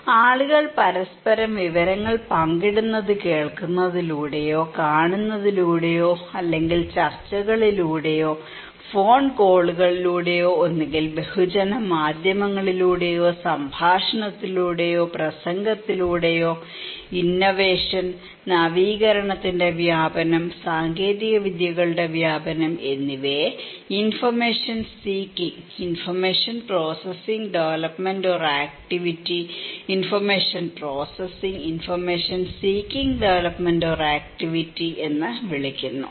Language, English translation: Malayalam, People share informations with each other either through hearing, either through watching, either through discussions, either through phone calls, either through mass media, giving dialogue or speech so, innovation; the diffusion of innovation, dissemination of technologies is therefore is called information seeking and information processing development or activity, information processing and information seeking development or activity, okay